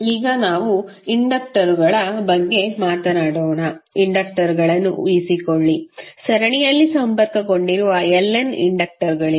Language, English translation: Kannada, Now, let us talk about the inductors, suppose the inductors, there are Ln inductors which are connected in series